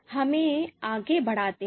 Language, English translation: Hindi, Let us move forward